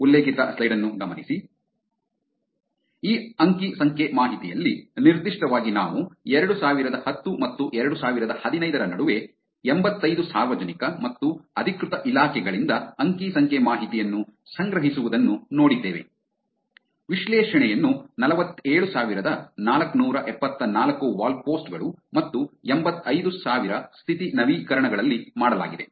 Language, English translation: Kannada, In this data specifically what we saw was collecting data from 85 publicly and official departments between this period of a 2010 and 2015, the analysis was done on 47,474 wall posts and 85,000 status updates